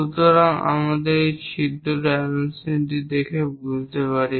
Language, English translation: Bengali, So, let us look at this hole, the dimensions and understand that